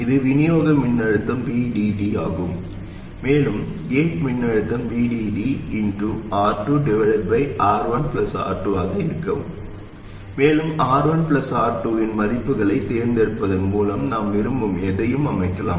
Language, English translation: Tamil, And the gate voltage will be VDD times R2 by R1 plus R2 and we can set this to anything we want by suitably choosing the values of R1 and R2